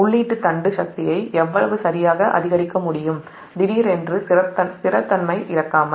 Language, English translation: Tamil, by how much can the input shaft power be increased right, suddenly, without loss of stability